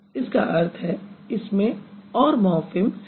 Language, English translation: Hindi, That means there are more morphemes here